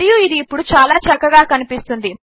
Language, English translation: Telugu, And this will look much better now